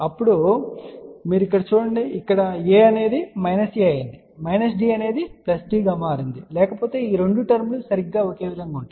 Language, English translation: Telugu, Now, you look over here, here A has become minus A, minus D has become plus D, otherwise these two terms are exactly same